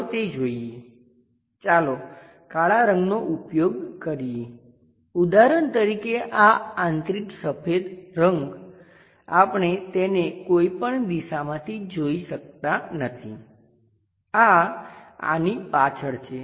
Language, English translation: Gujarati, Let us look at that, let us use black color for example, this internal white color we can not visualize it from any direction this one this is also behind this one